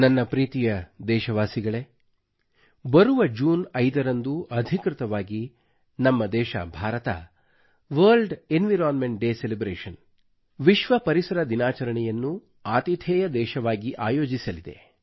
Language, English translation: Kannada, My dear countrymen, on the 5th of June, our nation, India will officially host the World Environment Day Celebrations